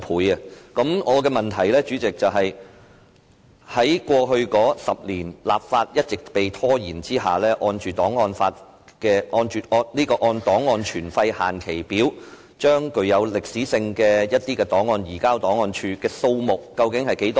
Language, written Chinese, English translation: Cantonese, 主席，我的補充質詢是，在過去10年一直拖延立法的情況下，按照檔案存廢期限表把具歷史價值的檔案移交檔案處的數目為何？, President my supplementary question is While the enactment of legislation has been consistently delayed over the past decade how many records of archival value have been transferred to GRS in accordance with the records retention and disposal schedules?